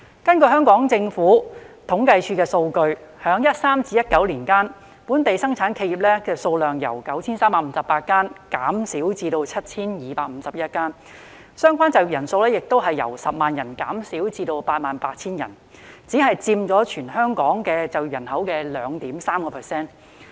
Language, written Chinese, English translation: Cantonese, 根據政府統計處的數據，在2013年至2019年間，本地生產企業數量由 9,358 間減少至 7,251 間，相關就業人數亦由10萬人減少至 88,000 人，只佔全港總就業人口的 2.3%。, According to the data from the Census and Statistics Department between 2013 and 2019 the number of local manufacturing enterprises decreased from 9 358 to 7 251 and the number of persons employed also decreased from 100 000 to 88 000 which accounted for only 2.3 % of the total employment in Hong Kong